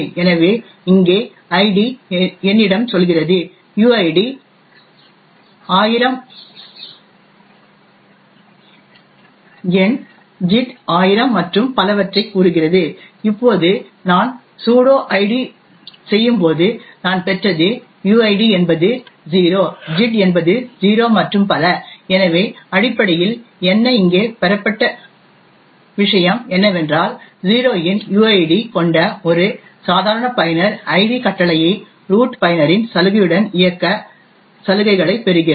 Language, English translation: Tamil, So for example id over here tells me that the uid is 1000, my gid is 1000 and so on, now when I do sudo id what I obtained is that the uid is 0, the gid is 0 and so on, so what essentially is obtained over here is that a normal user who has a uid of 0 is getting privileges to run the id command with a privilege of a root user